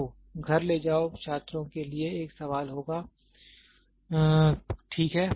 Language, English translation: Hindi, So, take home there will be a question for the students, ok